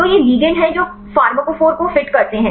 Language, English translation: Hindi, So, these are the ligands which fits the pharmacophore